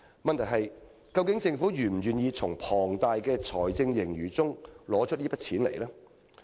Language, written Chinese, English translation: Cantonese, 問題是，究竟政府是否願意從龐大的財政盈餘中撥出這筆款項？, The question is Is the Government willing to earmark the necessary provisions out of its huge fiscal surpluses?